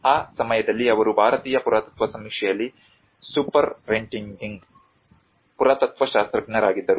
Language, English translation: Kannada, That time he was a superintending archaeologist in the Archaeological Survey of India